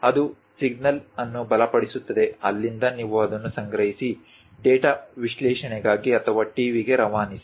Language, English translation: Kannada, That strengthens the signal; from there, you collect it, pass it for data analysis or for the TV